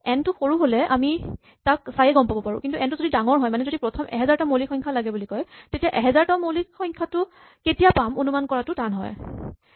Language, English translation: Assamese, If n is small, we might be able to figure out just by looking at it, but if n is large, if we ask the first thousand primes it is very difficult to estimate how big the thousandth of prime will be